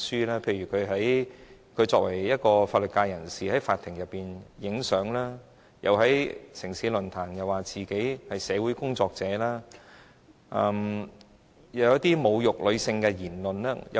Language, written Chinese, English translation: Cantonese, 例如作為一位法律界人士，他在法庭拍照，又在"城市論壇"說自己是社會工作者，還說出一些侮辱女性的言論。, He has numerous past examples of similar behaviours . For instance as a legal practitioner he was found taking pictures in courts; he claimed himself a social worker and made an abusive speech on women at the programme City Forum